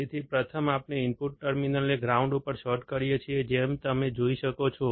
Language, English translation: Gujarati, So, first we short the input terminals to the ground, as you can see